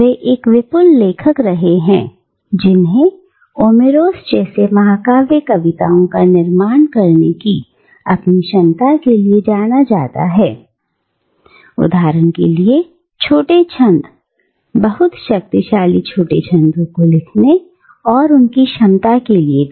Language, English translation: Hindi, And he has been a prolific author, known both for his ability to produce epic poems like Omeros, for instance, but also for his ability to write shorter verses, very powerful shorter verses